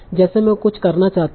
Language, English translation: Hindi, I want to do something